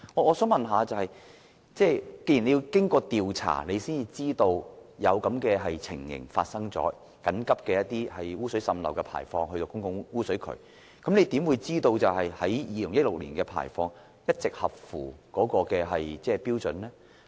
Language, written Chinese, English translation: Cantonese, 我想問局長，既然當局要經過調查才知道發生了這種情況，即有超標滲漏污水須緊急排放到公共污水渠，局長如何知道2016年的排放一直合乎標準？, My question to the Secretary is as follows . Given that it was only after investigation that the authorities became aware of the situation that is the emergency discharge of leachate with total nitrogen exceeding the licensing limit to the public sewer how can the Secretary be sure that the effluent quality in 2016 has consistently been in compliance with the licence requirements?